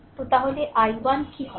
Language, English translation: Bengali, So, then what will be i 1